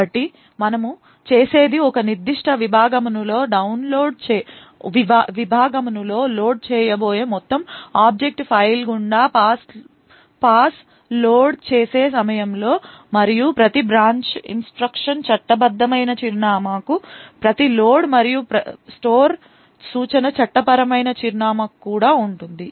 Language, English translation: Telugu, So what we do is at the time of loading pass through the entire object file which is going to be loaded in a particular segment so and identify that every branch instruction is to a legal address, every load and store instruction is also to a legal address